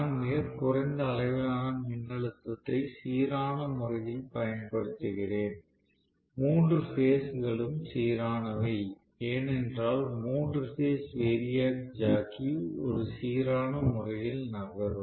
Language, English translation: Tamil, So, I am applying very very small amount of voltage in a balanced manner, all three phases are balanced, because the three phase variac jockey is moving, you know, in a balanced manner